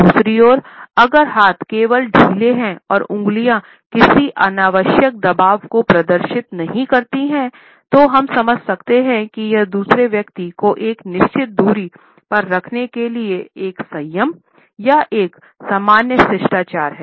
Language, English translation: Hindi, On the other hand if the hands are only loosely clenched and fingers do not display any unnecessary pressure, we can understand that it is either a restraint or a common courtesy to keep the other person at a certain distance